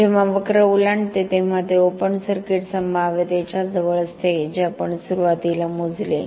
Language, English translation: Marathi, When this curve crosses this is the near to the open circuit potential what we measured initially